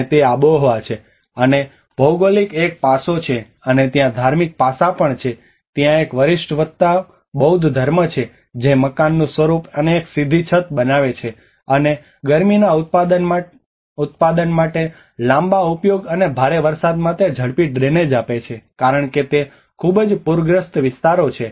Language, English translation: Gujarati, And that is the climate, and the geography is one aspect, and also there is religious aspect there is a seniority plus Buddhism which frames the form of the building and a steep roof and a long use for heat production and fast drainage for heavy rain because it has been a very flood prone areas